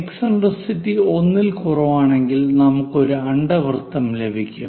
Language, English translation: Malayalam, If that eccentricity is greater than 1, we get a hyperbola